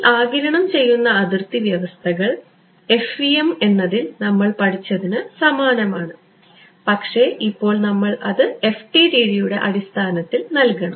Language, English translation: Malayalam, These absorbing boundary conditions are the same as what we studied in the case of FEM ok, but now we have to put it in the language of FDTD ok